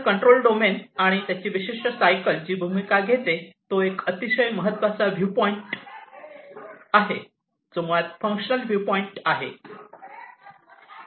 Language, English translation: Marathi, So, this control domain and it is role in this particular cycle is a very important viewpoint, which is basically the functional viewpoint